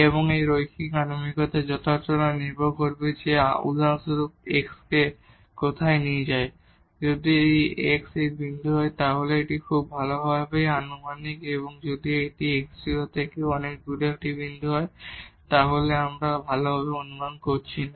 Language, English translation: Bengali, And, the accuracy of this linear approximation will depend that where we take x for example, if x is this point this is very well approximated and if it is a far point from this x naught then we are not approximating well